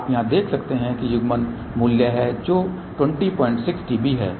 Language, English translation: Hindi, You can see here this is the coupling value which is 20